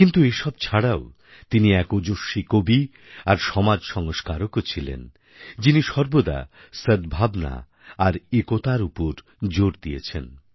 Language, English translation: Bengali, But besides these sterling qualities, he was also a striking poet and a social reformer who always emphasized on goodwill and unity